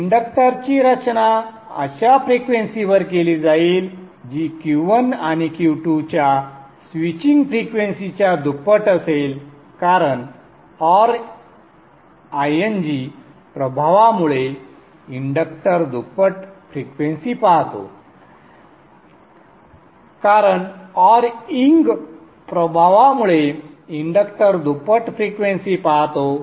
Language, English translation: Marathi, The inductor will be designed at a frequency which is double the switching frequency of Q1 and Q2 because the inductor is because of the awning effect inductor is in double the frequency